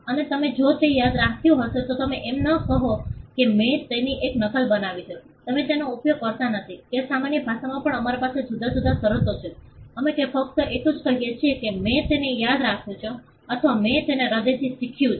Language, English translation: Gujarati, And you if you memorized it you do not say that I made a copy of it, you do not use that even in common parlance we have different terms for that we would just say that I memorized it or I learned it by heart